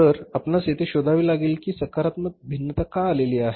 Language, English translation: Marathi, So, still we have to find out why there is a positive variance